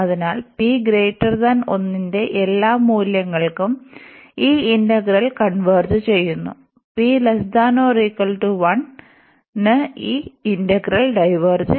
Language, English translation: Malayalam, So, for all values of p greater than 1, this integral convergence; and p less than or equal to 1, this integral diverges